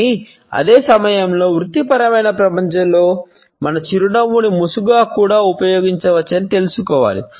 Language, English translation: Telugu, But at the same time in the professional world we have to be aware that our smile can also be used as a mask